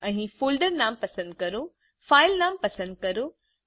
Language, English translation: Gujarati, Select the folder name here, select the file name